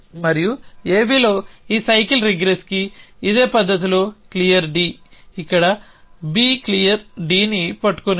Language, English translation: Telugu, And clear D in the similar fashion for this cycle regress to on A B is here holding B clear D